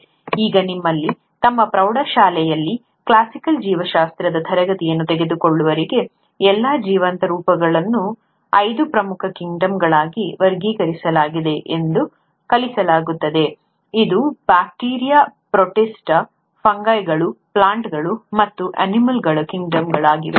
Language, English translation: Kannada, Now those of you who would have taken a classical biology class in their high school, they would have been taught that the all the living forms are classified into five major kingdoms, which is, the bacteria, the protista, the fungi, the plant, and the animal kingdom